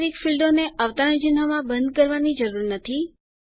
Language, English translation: Gujarati, NUMERIC fields need not be encased with any quotes